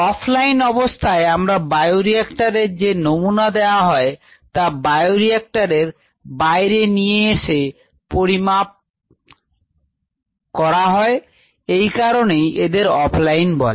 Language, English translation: Bengali, off line, we take a sample from bioreactors and then measure it away from the line or the away from the bioreactor, and that is why it is called off line method